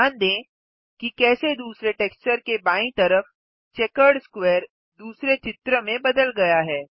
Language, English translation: Hindi, Notice how the checkered square on the left of the second texture has changed to a different image